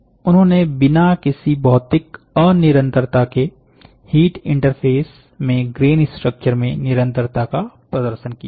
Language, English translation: Hindi, They demonstrated continuity in grain structure across heat interface without any physical discontinuity